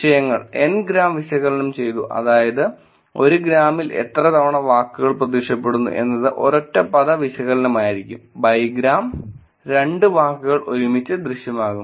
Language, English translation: Malayalam, Topics, N Gram Analysis was done which is how frequently the words are actually appear in 1 gram would be the single word analysis, bigram would be 2 words appearing together